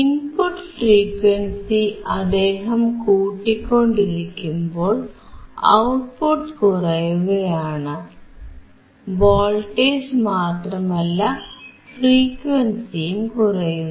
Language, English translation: Malayalam, So, if he keeps on increasing the input frequency, the output is decreasing, not only voltage, but also your frequency